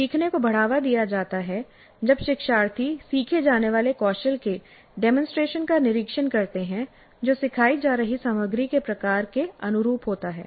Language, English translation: Hindi, Learning is promoted when learners observe a demonstration of the skills to be learned that is consistent with the type of content being taught